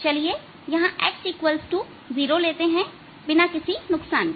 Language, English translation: Hindi, let us take this to be x equal to zero, without any loss of generality